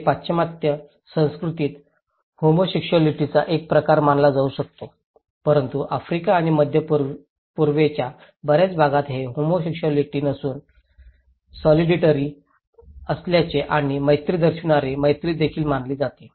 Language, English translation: Marathi, This is could be considered in Western culture as a kind of homosexuality but in many part of Africa and Middle East this is considered to be as not homosexual but solidarity and also friendship showing friendship